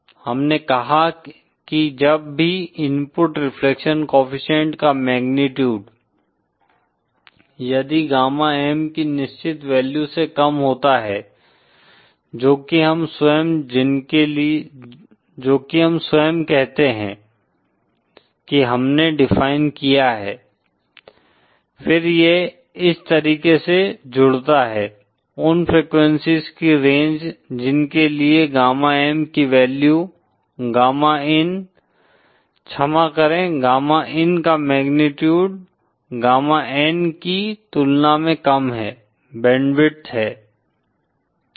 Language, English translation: Hindi, we said that whenever the magnitude if the input reflection co efficient is lesser than certain value gamma M , that we ourselves have say we defined, then that constitutes, those range of frequencies for which the gamma M value, Gamma in, pardon, the magnitude of gamma in value is lesser than gamma N , is the band width